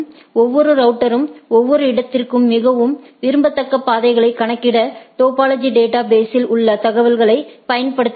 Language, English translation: Tamil, Each router uses the information in the topology database to compute the most desirable routes to the each destination